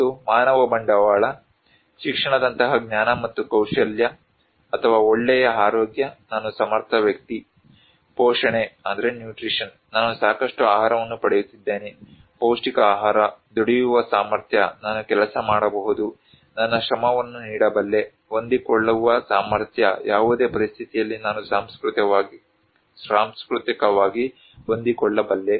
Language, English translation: Kannada, And human capital; knowledge and skill like education or good health I am capable person, nutrition I am getting enough food, nutritious food, ability to labor I can work, I can give my labor, capacity to adapt, in any situation, I can adapt culturally